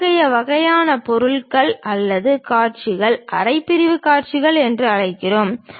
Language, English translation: Tamil, Such kind of objects or views we call half sectional views